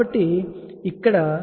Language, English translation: Telugu, So, something like that